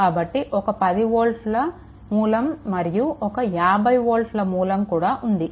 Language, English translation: Telugu, So, we have one 10 volt source, and we have one 50 volt source